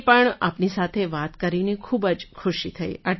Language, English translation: Gujarati, I was also very happy to talk to you